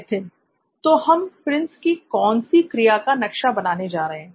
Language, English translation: Hindi, So what activity are we mapping for Prince